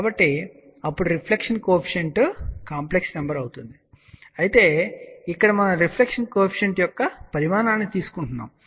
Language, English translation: Telugu, So, then reflection coefficient will also be complex number but however, over here we take the magnitude of the reflection coefficient